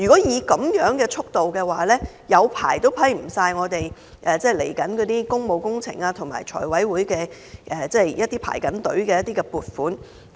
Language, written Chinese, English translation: Cantonese, 以這樣的速度，即使花很長時間，也不能批出接下來的工務工程和正在財委會輪候的一些撥款項目。, Given the slow progress it will take an extremely long time for FC to approve the upcoming public works projects and other funding items on its agenda